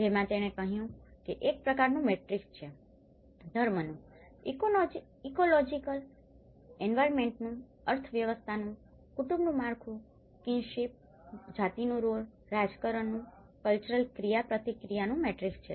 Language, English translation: Gujarati, Which she calls it is a kind of matrix of religion, ecological environment, economy, family structure, kinship, gender roles, politics, cultural interaction